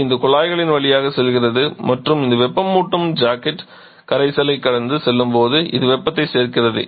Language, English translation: Tamil, It is passing through this tubes and as it this heating jacket is passing through the solution